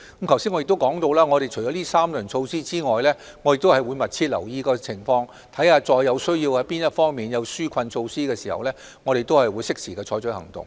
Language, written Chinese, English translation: Cantonese, 正如我剛才提及，除了這3輪措施之外，我們會密切留意情況，當某方面需要實施紓困措施時，便會適時採取行動。, As I just said in addition to the three rounds of measures we will closely monitor the situation and take timely actions to implement relief measures as and when such needs arise